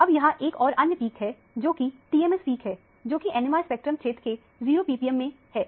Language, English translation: Hindi, And, there is only one other peak, which is the TMS peak, which is in the 0 ppm region of the NMR spectrum